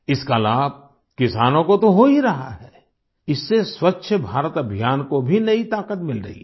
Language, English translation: Hindi, Not only farmers are accruing benefit from this scheme but it has also imparted renewed vigour to the Swachh Bharat Abhiyan